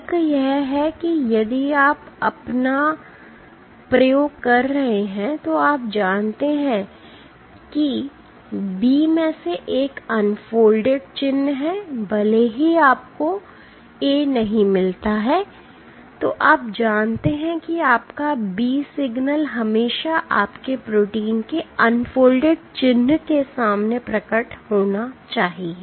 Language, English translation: Hindi, The rationale being that if you are doing your experiment then you know that because B has an unfolding signature even if you do not get A then you know that your B signal should always appear in your protein unfolding signature